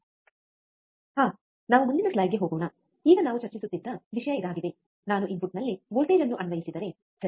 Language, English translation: Kannada, Ah so, let us go to the next slide, now this is the same thing that we were discussing, that if I apply a voltage at the input, right